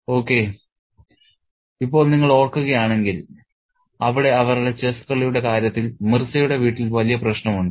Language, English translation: Malayalam, Okay, now if you recall there is a great problem in Mirza's home in terms of their chess playing